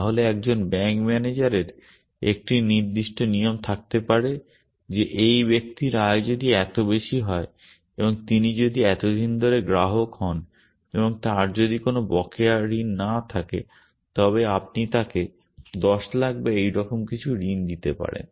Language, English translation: Bengali, Then a bank manager may have a rule of certain kind that if this persons income is so much and if he is been a customer for so many days and if he has no outstanding loans then you can give him a loan of whatever 10 lacs or something like that